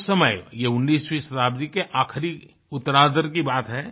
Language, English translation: Hindi, And he said it back then, I am referring to the second half of the 19th century